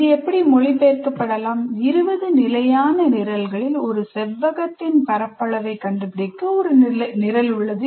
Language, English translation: Tamil, Essentially translate like this, you write out of the 20 standard programs, there is one program to find the area of a rectangle